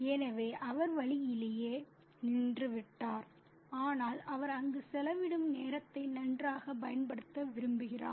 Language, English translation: Tamil, So, he has stopped by the way said, but he also wants to make good use of the time that he spends there